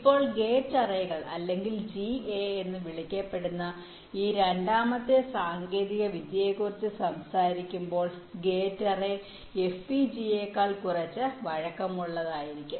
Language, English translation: Malayalam, now now here, when you talking about this second technology called gate arrays or ga, gate array will be little less flexible then fpga, but its speed will be a little higher